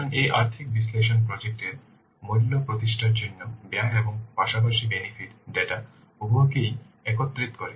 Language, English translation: Bengali, So this financial analysis, it combines both the cost as well as benefit data to establish the value of the project